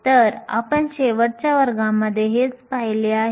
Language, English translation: Marathi, So, this is what we looked at last class